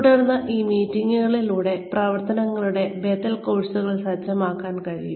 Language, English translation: Malayalam, Then, through these meetings, alternative courses of actions can be set